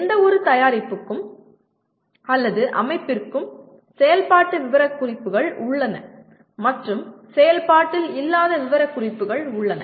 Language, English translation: Tamil, There are for any product or system there are functional specifications and there are non functional specifications